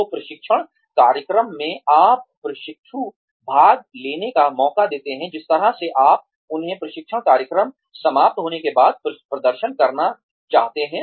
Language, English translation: Hindi, So, in the training program, then, you give the trainee, a chance to participate, the way , you would want them to perform, after the training program was over